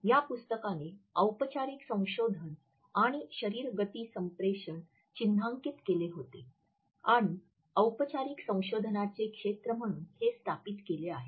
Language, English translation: Marathi, This book had marked the formal research and body motion communication and established it as a field of formal research